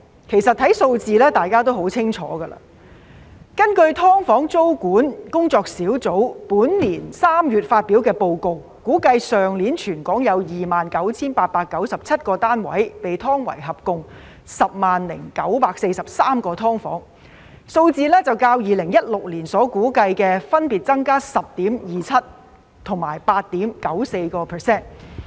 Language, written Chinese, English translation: Cantonese, 其實，從數字上大家亦很清楚，根據"劏房"租務管制研究工作小組本年3月發表的報告，估計去年全港有 29,897 個單位被劏為合共 100,943 個"劏房"，數字較2016年所估計的分別增加 10.27% 及 8.94%。, In fact Members will clearly understand it from the figures . According to the Report of the Task Force for the Study on Tenancy Control of Subdivided Units released in March this year it was estimated that 29 897 units across the territory were subdivided into a total of 100 943 SDUs last year representing an increase of 10.27 % and 8.94 % respectively as compared with the figures in 2016